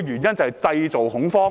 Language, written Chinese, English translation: Cantonese, 就是製造恐慌。, They aim to create panic